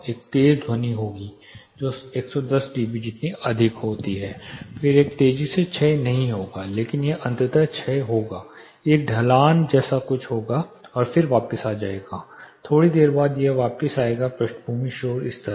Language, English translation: Hindi, There would be a sharp sound which goes as high for example as 110 dB, then it would not decay that fast, but it would eventually be decaying there will be a slope and then it would come back after while it would come back to background noise level